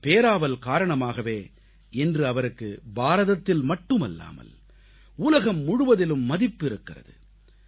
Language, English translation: Tamil, Today, due to this hobby, he garnered respect not only in India but the entire world